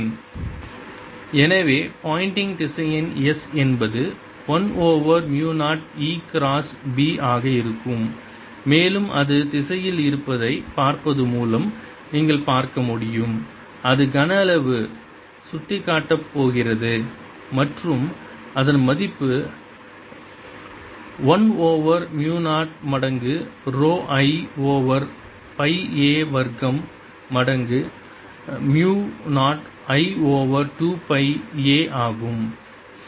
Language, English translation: Tamil, so the pointing vector s is going to be one over mu zero, e cross b and you can see by looking at the direction that it is going to be pointing into the volume and its value is going to be one over mu zero times rho i over pi a square times mu zero i over two pi a